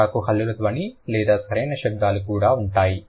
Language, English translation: Telugu, Coda will also have consonant sound or sounds, right